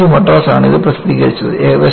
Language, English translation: Malayalam, This was published by IIT Madras